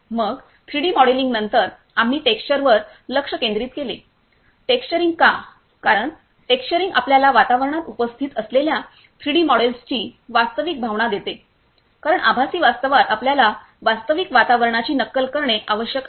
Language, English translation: Marathi, Then after the 3D modelling we focused on the texturing; why texturing because texturing gives you the real feeling of the 3D models that are present in the environment because real virtual reality in the virtual reality we have to mimic the real environment